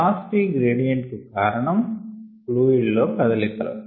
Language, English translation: Telugu, the velocity gradients are brought about because of fluid is moving